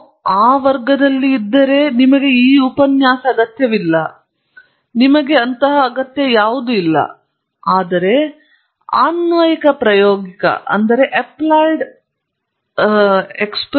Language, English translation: Kannada, If you are in that category then you do not need this lecture, you do not need any of it